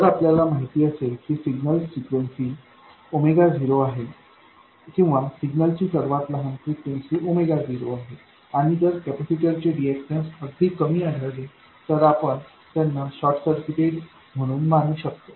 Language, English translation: Marathi, If we know that the signal frequency is some omega not or the smallest signal frequency is omega not and if the capacitors happen to have a very small reactance, then you can treat them as short circuits